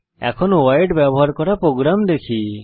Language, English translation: Bengali, Let us see a program using void